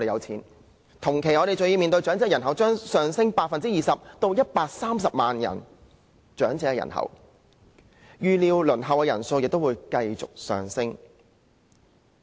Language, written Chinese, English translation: Cantonese, 同時，我們還要面對長者人數將上升 20% 至130萬人，預料輪候安老院舍的人數亦會繼續上升。, Moreover the number of elderly people will increase by 20 % to 1.3 million and it is expected that the number of people on the waiting list for residential care homes will also increase